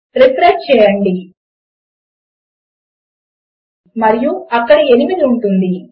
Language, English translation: Telugu, Refresh and that will be 8